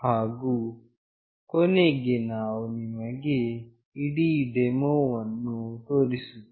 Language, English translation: Kannada, And finally, we will show you the whole demonstration